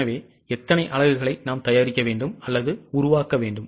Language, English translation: Tamil, So, how many units we need to prepare or manufacture